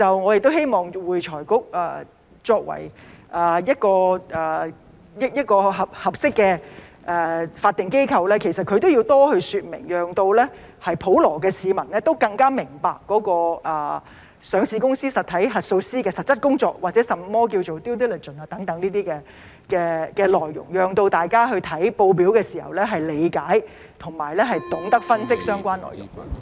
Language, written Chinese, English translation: Cantonese, 我希望會財局作為一個合適的法定機構，對此都要多說明，讓普羅市民更明白上市公司實體核數師的實質工作或甚麼是 due diligence 等，讓大家閱讀報表的時候能夠理解和懂得分析相關內容。, I hope that AFRC as a suitable statutory body will explain more about it so that the general public can better understand the actual work of the auditors of a listed entity or what due diligence is so that people will be able to understand and analyse the relevant contents when reading the statements